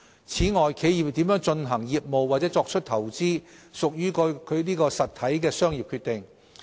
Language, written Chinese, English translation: Cantonese, 此外，企業如何進行業務或作出投資，屬該實體的商業決定。, In addition how an entity carries on its business or makes investment is a commercial decision of the entity concerned